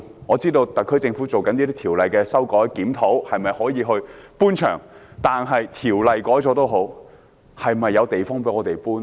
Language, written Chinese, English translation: Cantonese, 我知道特區政府正就修改有關條例進行檢討，看看可否搬場，但即使條例作出修改，是否有地方讓養雞場搬遷呢？, As far as I know the SAR Government is conducting a review on the amendment to the Ordinance concerned to study the possibility of allowing relocation of chicken farms . But even if the Ordinance is amended are there places for relocation?